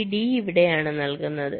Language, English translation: Malayalam, this d is being fed here